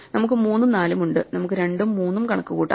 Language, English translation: Malayalam, We have 3 and 4, so we can compute I mean 2 and three